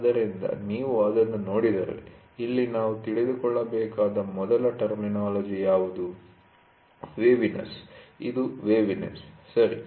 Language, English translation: Kannada, So, if you look at it, so here is what is the first terminology which we have to know is waviness, this is a waviness, ok